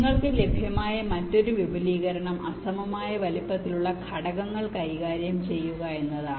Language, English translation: Malayalam, the another extension you can have is to handle unequal sized elements, like so far